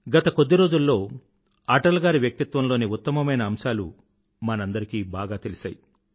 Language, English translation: Telugu, During these last days, many great aspects of Atalji came up to the fore